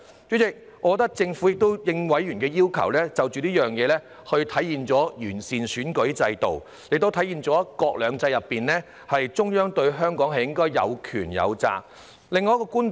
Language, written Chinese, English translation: Cantonese, 主席，我認為政府已經應委員的要求，實現完善選舉制度，也體現出在"一國兩制"之下，中央對香港應該有權、有責。, Chairman I think the Government has already responded to the request of members to make improvement to the electoral system . It also reflects that the Central Authorities should possess power and responsibilities over Hong Kong under the principle of one country two systems